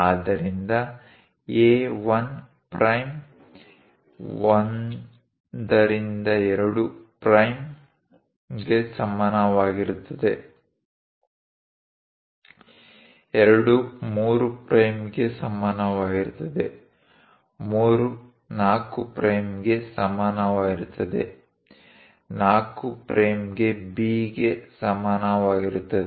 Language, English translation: Kannada, So, A 1 prime equal to 1 2 prime; is equal to 2 3 prime; equal to 3 4 prime; equal to 4 prime B